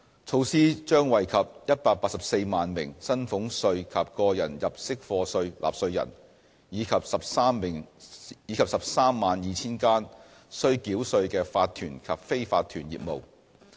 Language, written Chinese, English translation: Cantonese, 措施將惠及184萬名薪俸稅及個人入息課稅納稅人，以及 132,000 間須繳稅的法團及非法團業務。, The measure will benefit 1.84 million taxpayers of salaries tax and tax under personal assessment and 132 000 tax - paying corporations and unincorporated businesses